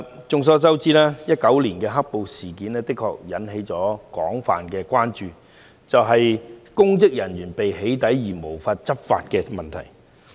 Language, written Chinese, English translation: Cantonese, 眾所周知 ，2019 年"黑暴"事件引起的一項廣泛關注，是公職人員被"起底"而無法執法的問題。, As we all know the black - clad violence incidents in 2019 have aroused widespread concern about the failure of public officers to take enforcement actions as a result of their being doxxed